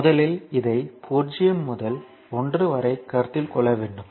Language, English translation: Tamil, But first you have to consider this because 0 to 1